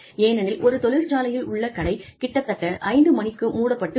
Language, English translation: Tamil, Why, because the shop floor would, in a factory, would probably close at 5 o'clock